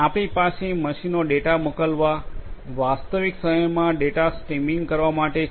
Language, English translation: Gujarati, We have machines sending data, streaming data in real time